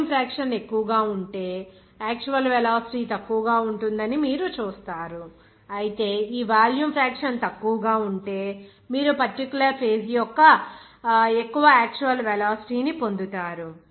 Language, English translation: Telugu, If your volume fraction is more, then you will see that your actual velocity will be less, whereas if your volume fraction is less, then you will get the more actual velocity of that particular phase